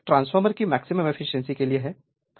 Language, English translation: Hindi, So, this is the all for maximum efficiency of a transformer